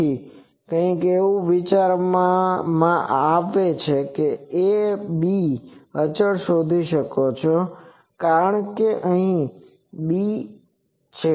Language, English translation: Gujarati, So, something like to give an idea that you can find out the this a b constants as something like this and b is